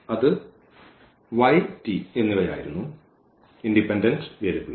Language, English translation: Malayalam, So, that was y and this t these are the free variables